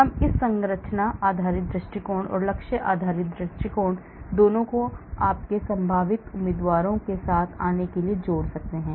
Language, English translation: Hindi, We can combine both these structure based approach and target based approach also for coming up with you possible candidates